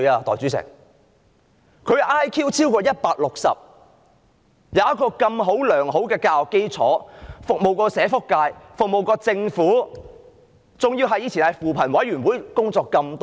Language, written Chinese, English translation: Cantonese, 代理主席，他的 IQ 超過 160， 並曾接受良好教育，曾服務社會福利界和政府，過去亦曾在扶貧委員會工作多年。, Deputy President his Intelligence Quotient exceeds 160; he has received good education and has served the social welfare sector and the Government; and he has also worked at the Commission on Poverty for years